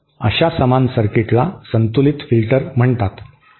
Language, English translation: Marathi, A similar circuit is what is called a balanced filter